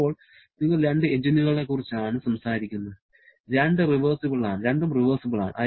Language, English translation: Malayalam, Now, you are talking about two engines, both are reversible in nature